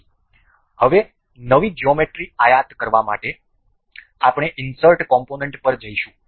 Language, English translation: Gujarati, So, now, to import a fresh geometry we will go to insert component